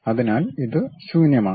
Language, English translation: Malayalam, So, it is a blank one